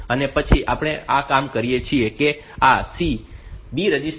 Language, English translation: Gujarati, And then we do so this C is this this B register